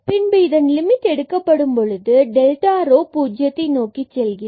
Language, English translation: Tamil, And then when we take the limit as delta rho goes to 0